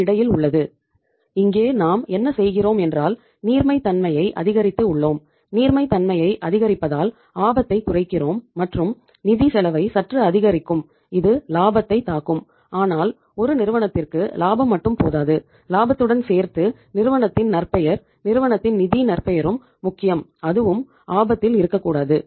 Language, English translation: Tamil, So what we have done here is that we have increased the liquidity so by increasing the liquidity you are reducing the risk and we are increasing the finance cost little bit which will impact the profitability but profitability is not everything for the firms along with the profitability you have the reputation of the firm, financial reputation of the firm also and that should also be not at stake